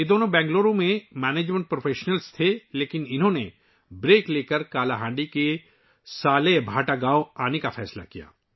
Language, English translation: Urdu, Both of them were management professionals in Bengaluru, but they decided to take a break and come to Salebhata village of Kalahandi